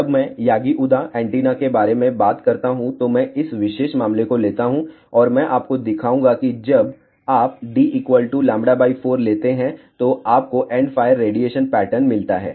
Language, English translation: Hindi, When, I talk about Yagi Uda Antenna array I will take this particular case and I will show you that when you take d around lambda by 4, you get a endfire radiation pattern